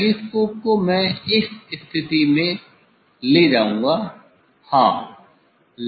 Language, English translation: Hindi, telescope I will take in this position in this position yeah